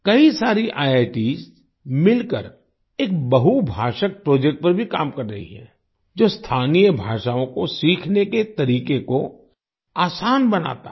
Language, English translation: Hindi, Several IITs are also working together on a multilingual project that makes learning local languages easier